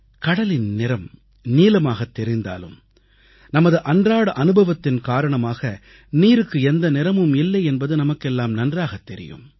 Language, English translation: Tamil, All of us have seen that the sea appears blue, but we know from routine life experiences that water has no colour at all